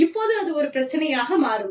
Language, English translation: Tamil, Now, that can become a problem